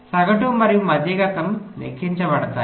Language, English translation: Telugu, what is the average average